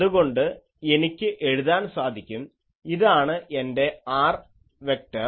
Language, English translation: Malayalam, So, I can write that this is my r vector